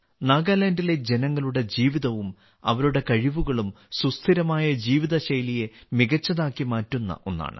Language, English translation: Malayalam, The life of the people of Nagaland and their skills are also very important for a sustainable life style